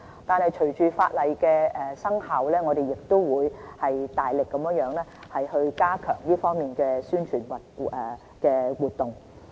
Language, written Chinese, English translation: Cantonese, 但是，隨着法例生效，我們亦會大力加強這方面的宣傳活動。, After the Bill comes into operation we will further reinforce publicity